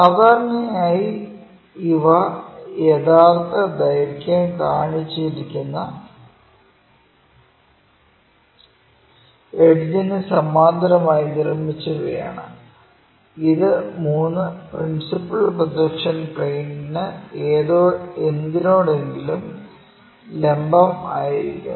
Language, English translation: Malayalam, Usually, these are constructed parallel to the edge which is to be shown in true length and perpendicular to any of the three principle projection planes